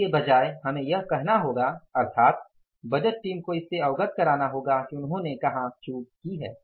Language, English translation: Hindi, Rather we will have to say, say, say, make the budgeting team aware of that where they have committed the lapse